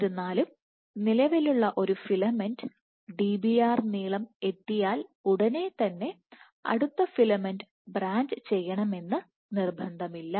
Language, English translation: Malayalam, So, it is not necessary that as soon as an existing filament becomes Dbr, reaches a length of Dbr, the next filament has to branch